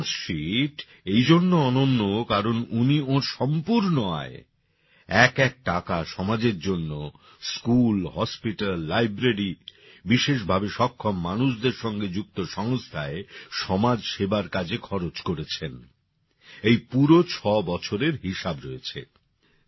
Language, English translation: Bengali, This Balance Sheet is unique because he spent his entire income, every single rupee, for the society School, Hospital, Library, institutions related to disabled people, social service the entire 6 years are accounted for